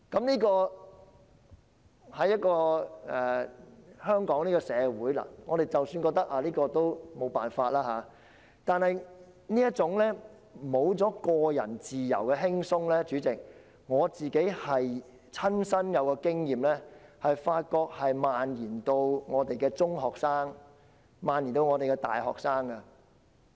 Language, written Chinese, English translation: Cantonese, 即使這種情況在香港社會是無可避免的，但我發覺這種失去個人自由的輕鬆的情況——主席，這是我的親身經驗——已經蔓延至中學生和大學生。, While this situation is inevitable in Hong Kongs society I notice that the loss of a relaxed sense of personal freedom―Chairman this is my personal experience―has been spread to secondary and university students